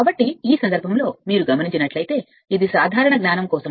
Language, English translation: Telugu, So, in this case if you look into this that just for your general knowledge